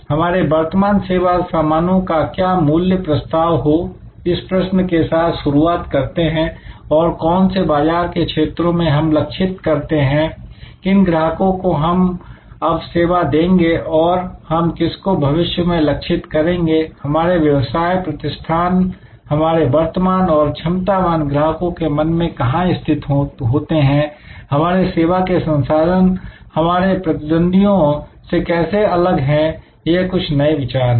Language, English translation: Hindi, Starting with what is the value proposition for our current service products and which market segment we are targeting, what customers we serve now and which ones would we like to target, what does our firm stand for in the minds of the current and potential customers, how does each of our service products differ from our competitors, these are some new ideas